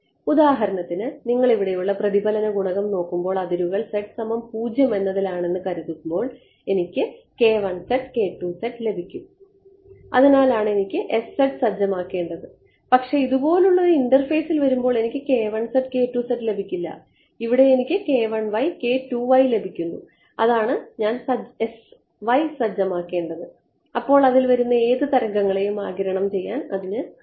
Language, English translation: Malayalam, For example, when you look at the reflection coefficient over here when I assume that the boundary was over along the z z equal to 0 I got k 1 z k 2 z that is why I needed to set s z, but when I come to an interface like this I will not get k 1 z and k 2 z I will get k 1 y and k 2 y that is why I need to set s y and then it is able to absorb any wave coming at it